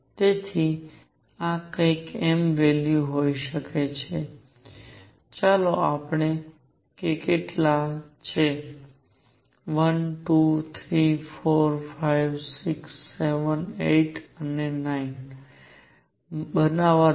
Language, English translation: Gujarati, So, this could be some m value let us see how many are there 1, 2, 3, 4, 5, 6, 7, 8 let me make 9